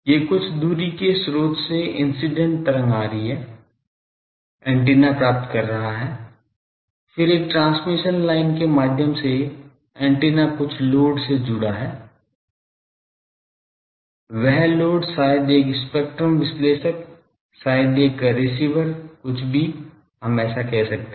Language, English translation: Hindi, These are the incident wave from some distance source this is coming, the antenna is receiving, then through a transmission line the antenna will be connected to some load, that load maybe a spectrum analyzer maybe a receiver anything, but let us say so